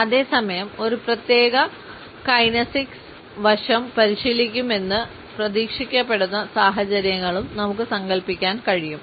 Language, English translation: Malayalam, At the same time we can also imagine situations in which we may be expected to practice a particular kinesics aspect